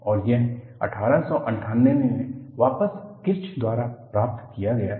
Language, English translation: Hindi, And, this is, what was obtain by Kirsch, way back in 1898